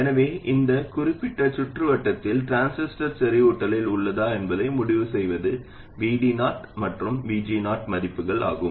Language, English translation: Tamil, So what decides whether the transistor is is in saturation in this particular circuit are the values of VD 0 and VG 0